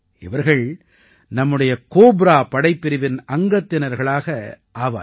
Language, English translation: Tamil, They will be a part of our Cobra Battalion